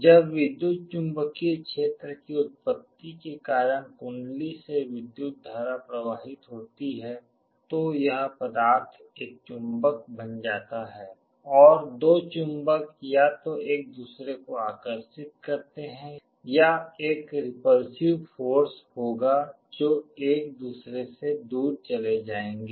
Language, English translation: Hindi, When current flows through the coil of the electromagnet due to the magnetic field produced this material becomes a magnet and the two magnets either attract each other or there will be a repulsive force there will move away from each other